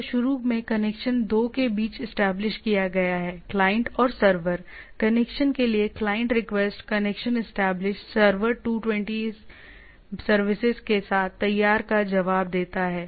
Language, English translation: Hindi, So, initially the connection is established between the two, the client and the server, client request for the connection the connection establish, the server respond with 220 a service ready